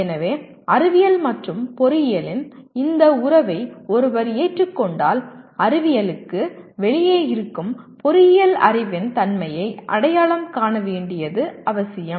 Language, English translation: Tamil, So if one accepts this relationship of science and engineering it becomes necessary to identify the nature of knowledge of engineering which is outside science